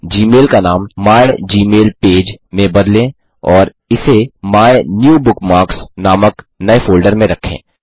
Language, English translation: Hindi, Lets change the name of gmail to mygmailpage and store it in a new folder named MyNewBookmarks